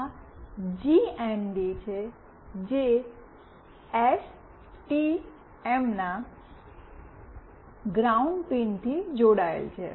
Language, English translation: Gujarati, This is the GND, which is connected to ground pin of STM